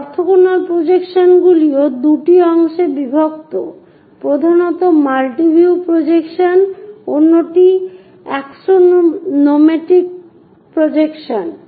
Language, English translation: Bengali, This, orthogonal projections are also divided into two parts mainly multi view projections, the other one is axonometric projections